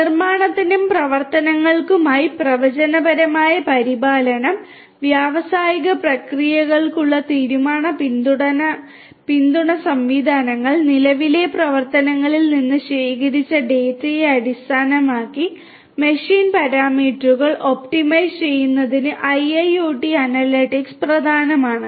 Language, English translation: Malayalam, For manufacturing and operations, predictive maintenance, decision support systems for industrial processes and for optimizing machine parameters based on the collected data from the current operations IIoT analytics is important